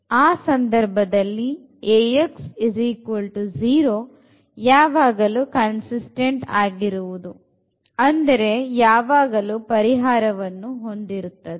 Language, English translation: Kannada, So, in that case the system is always consistent meaning this Ax is equal to 0 will have always a solution